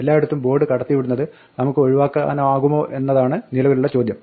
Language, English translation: Malayalam, Now the question is can we avoid passing the board around all over the place